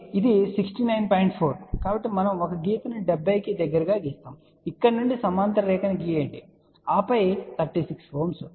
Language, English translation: Telugu, So, we draw a line from here close to seventy draw horizontal line and then 36 ohm